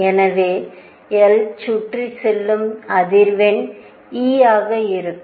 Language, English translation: Tamil, So, the frequency of going around times the charge itself e